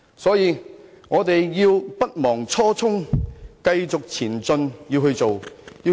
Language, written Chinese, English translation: Cantonese, 所以，大家勿忘初衷，繼續前進，好好做事。, So let us not forget our original intent but move on and do something constructive